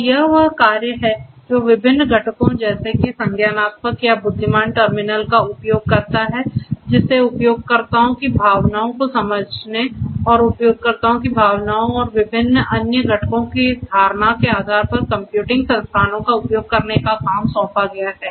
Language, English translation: Hindi, So, this is the work which uses different components such as the cognitive or the intelligent terminal which is tasked with the sensing of the users emotions and requesting computing resources based on the perception of the emotions of the users and different other components